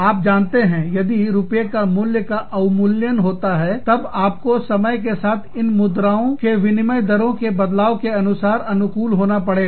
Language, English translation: Hindi, And, you know, if the value, if the rupee is being devalued, then you have to adjust for these changes, in the currency rates, over time